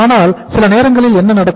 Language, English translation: Tamil, But sometime what happens